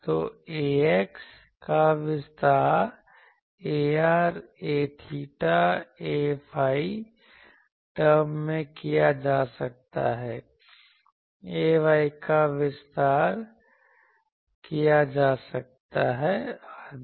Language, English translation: Hindi, So, ax can be expanded in terms ar a theta a phi ay can be expanded etc